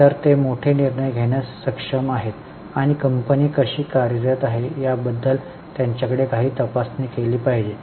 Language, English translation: Marathi, So, they are able to take major decisions and they should have some check on how the company is functioning